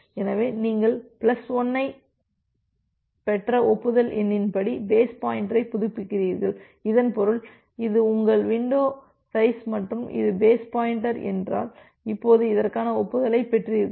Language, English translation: Tamil, So, you are updating the base pointer according to the acknowledgement number that you have received plus 1 so that means, if this is your window size and this was the base pointer, now you have receive the acknowledgement for this one